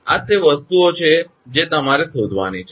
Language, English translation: Gujarati, These are the things you have to find out